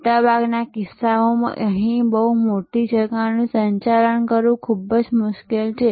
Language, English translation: Gujarati, In most cases, it is very difficult to manage a very large gap here